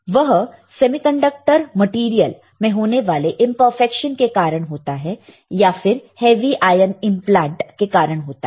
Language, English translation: Hindi, It is related to imperfection in semiconductor material and have heavy ion implants